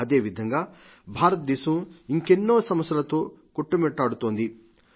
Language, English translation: Telugu, India is grappling with diverse challenges